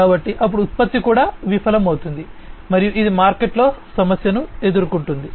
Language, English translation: Telugu, So, then the product itself will fail, and it will face problem in the market